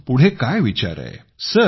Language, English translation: Marathi, What are you thinking of next